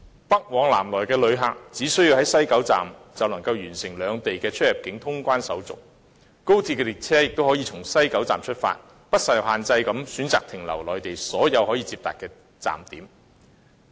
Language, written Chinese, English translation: Cantonese, 北往南來的旅客，只須在西九龍站就能夠完成兩地的出入境通關手續，而高鐵列車亦可以從西九龍站出發，不受限制地選擇停留內地所有可以接達的站點。, Passengers travelling to and from the north and the south can complete the immigration formalities of the two places at the West Kowloon Station WKS and XRL trains can depart from WKS and stop at all connectable stations on the Mainland without any restrictions